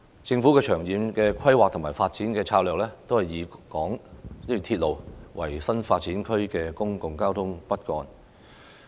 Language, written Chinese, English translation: Cantonese, 政府的長遠規劃和發展策略，均以鐵路為新發展區的公共交通骨幹。, In its long - term planning and development strategy the Government uses railway as the backbone of public transport for new development areas NDAs